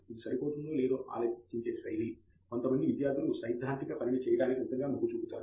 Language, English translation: Telugu, I think the style of thinking whether it matches, some students are really inclined towards doing carrying out theoretical work